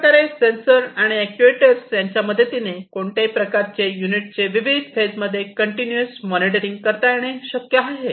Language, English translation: Marathi, So, sensors and actuators will do the continuous monitoring of these different units and the different phases